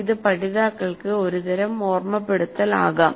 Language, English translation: Malayalam, It can be some kind of a recollection by the learners